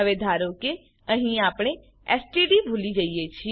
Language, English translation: Gujarati, Now, suppose here we missed std